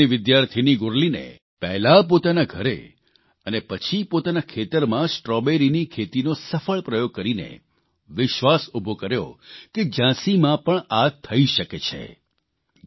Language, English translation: Gujarati, A Law student Gurleen carried out Strawberry cultivation successfully first at her home and then in her farm raising the hope that this was possible in Jhansi too